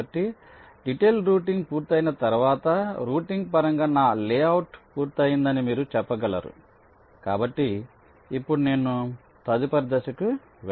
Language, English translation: Telugu, so once detailed routing is done, you can say that, well, my layout in terms of routing is complete, so now i can move on to the next step